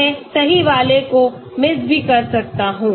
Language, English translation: Hindi, I may be missing out the correct one